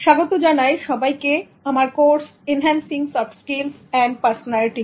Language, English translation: Bengali, Hello, hi, welcome back to my course on enhancing soft skills and personality